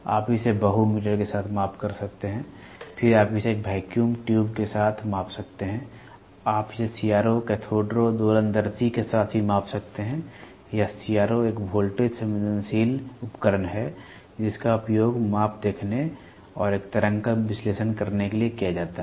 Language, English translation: Hindi, You can measure it with the multi meter, then you can measure it with a vacuum tube you can also measure it with CRO, Cathode Ray Oscilloscope or CRO is a is a voltage sensitive device that is used to view measure and analyse waveform